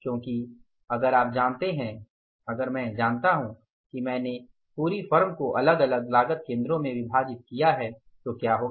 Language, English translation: Hindi, So, for that first thing is you divide the whole firm into the different cost centers